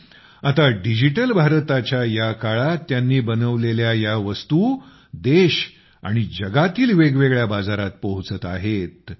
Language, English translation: Marathi, But now in this era of Digital India, the products made by them have started reaching different markets in the country and the world